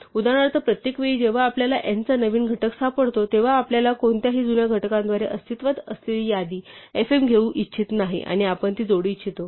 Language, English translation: Marathi, For instance every time we find a new factor of n we do not want to through any old factor we want to take the existing list fm and we want to add it